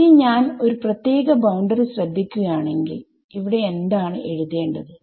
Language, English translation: Malayalam, So, if I look at one particular boundary over here right